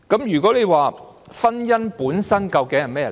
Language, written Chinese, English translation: Cantonese, 如果問婚姻本身究竟是甚麼？, One may ask what is the very nature of marriage?